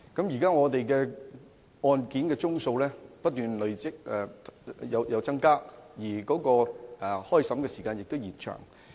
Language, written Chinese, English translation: Cantonese, 現時案件的宗數一直不斷增加，而開審時間亦因而延長。, With an increasing number of cases the trial will only be commenced after a longer wait